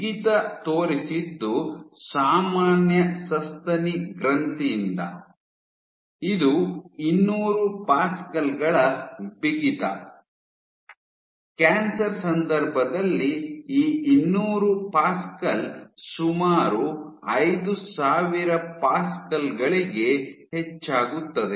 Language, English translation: Kannada, So, what she showed was from normal mammary gland, in case of normal mammary gland which is ordered 200 pascals in stiffness; in case of tumor this 200 pascal increases to nearly 5000 pascals